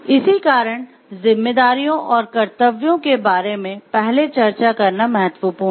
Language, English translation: Hindi, So, one of them, that is why is important to discuss about the responsibilities and duties at first